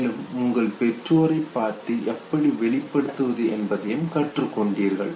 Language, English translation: Tamil, You also look at your parents you learn how to express yourself